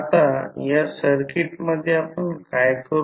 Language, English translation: Marathi, Now, in this particular circuit what we will do